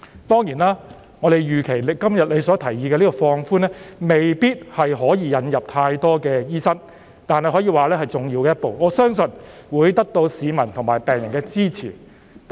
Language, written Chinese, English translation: Cantonese, 當然，我們預期你今天提出的放寬措施，未必能夠引入大量醫生，但這可以說是重要的一步，我相信會得到市民和病人支持。, Of course we anticipate that the relaxation you propose today may not be able to bring in a large number of doctors but it can be described as an important step . I believe it will gain the support of the public and the patients